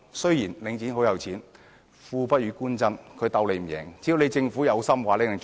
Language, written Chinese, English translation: Cantonese, 雖然領展很有財力，但"富不與官爭"，它亦無法勝過政府。, While Link is financially powerful the rich will give way to the Government . It will not manage to gain the upper hand over the Government either